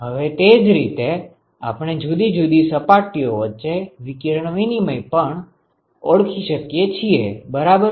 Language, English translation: Gujarati, So, now, in a similar way we could also identify resistances for radiation exchange between different surfaces ok